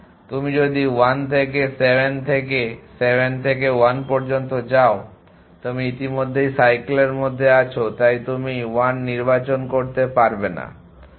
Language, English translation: Bengali, If you go for 1 to 7 and from 7 to 1 in you already in cycles so you cannot choose 1